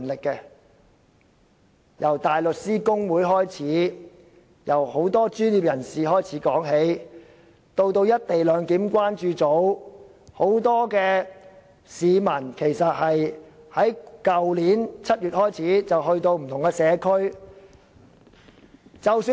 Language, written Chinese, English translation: Cantonese, 他們當中包括香港大律師公會、很多專業人士及"一地兩檢"關注組，有很多市民更由去年7月開始，前往不同社區進行相關工作。, We have the Hong Kong Bar Association many professionals and the Co - location Concern Group among them and many people have even been visiting different local communities since July last year to undertake the corresponding work activities